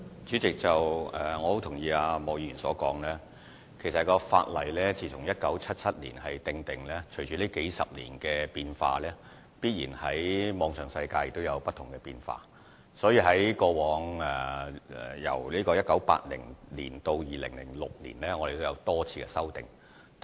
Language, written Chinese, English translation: Cantonese, 主席，我十分同意莫議員的說法，法例在1977年制定，隨着數十年的變化及網上世界的變化，由1980年至2006年已經作出多次修訂。, President I very much agree with the views of Mr MOK . The legislation was enacted in 1977 and it had been amended a few times from 1980 to 2006 to meet with the development and changes in the online world over the decades